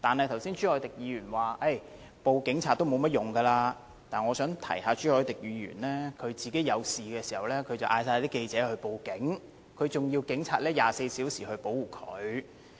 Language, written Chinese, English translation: Cantonese, 剛才朱凱廸議員表示向警察報案的作用不大，但我想提醒朱凱廸議員，他遇事時便叫所有記者報警，還要求警察24小時保護他。, Mr CHU Hoi - dick said just now that it will not do much help to report the case to the Police . However I have to remind Mr CHU Hoi - dick that he has asked journalists to report to the Police when something had happened to him and he has even requested round - the - clock protection by the Police